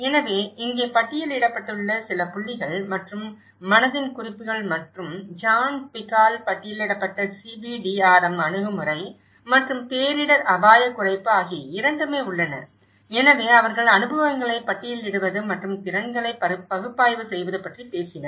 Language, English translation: Tamil, So, here one is the few points which has been listed and both the references of mind the gap and as well as the CBDRM approach which was listed by John Twigg, and disaster risk reduction, so they talked about listing the experiences and analysing the skills of the community to manage and implement any repair and maintenance program